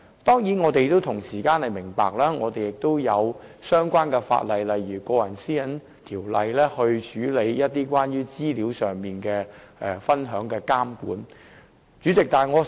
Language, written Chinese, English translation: Cantonese, 當然，我們也明白有相關法例如《個人資料條例》處理關乎資料分享的監管問題。, Certainly we are also aware of the presence of relevant legislation such as the Personal Data Privacy Ordinance which serves to address regulatory issues relating to information sharing